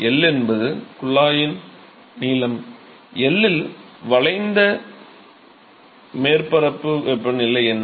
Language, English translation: Tamil, So, L is the length of the tube, what is the temperature of the curved surface at L